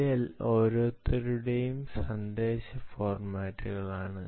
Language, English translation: Malayalam, this is a message formats for each one of them